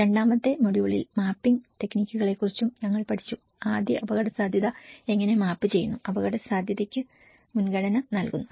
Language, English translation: Malayalam, The second module we also learnt about the mapping techniques, how first map the risk, prioritize the risk